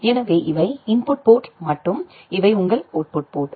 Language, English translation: Tamil, So, these are input ports and these are your output ports